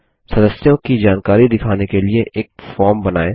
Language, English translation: Hindi, Design a form to show the members information